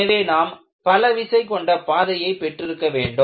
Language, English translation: Tamil, So, you need to have multiple load path